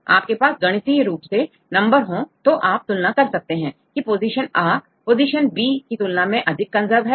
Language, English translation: Hindi, If you numerically get some numbers then you can compare this position a is more conserved than position number b